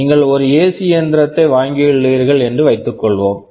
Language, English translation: Tamil, Let us say I have purchased an AC machine